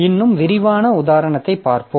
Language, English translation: Tamil, So, we'll be looking into more detailed example